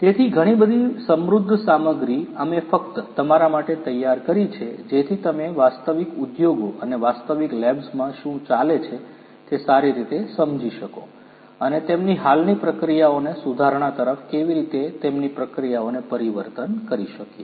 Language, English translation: Gujarati, So, so many rich content that we have prepared for you just so that you can understand better what goes on in the real industries and the different labs and how we could transform their processes to improve their existing processes towards betterment